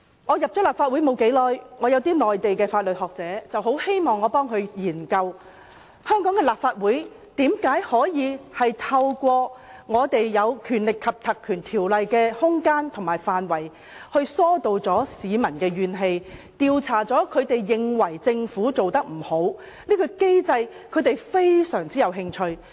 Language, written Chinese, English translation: Cantonese, 我加入立法會不久，有些內地的法律學者很希望我替他們研究，香港立法會如何透過《條例》所賦予的權力和空間，疏導市民的怨氣，調查市民認為政府做得不對的地方。, Soon after I joined the Legislative Council certain Mainland legal experts wished that I would conduct a study for them to examine how the Legislative Council of Hong Kong could make use of the power and room provided by the Ordinance to give vent to peoples grievances by inquiring into matters that the public considered the Government had done wrong